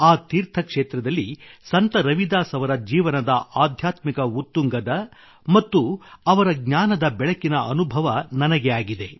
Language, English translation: Kannada, I have experienced the spiritual loftiness of Sant Ravidas ji's life and his energy at the pilgrimage site